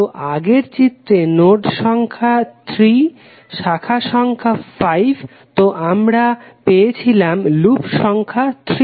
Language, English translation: Bengali, So, in the previous of figure the nodes for number of 3 and branches of 5, so we got number of loops equal to 3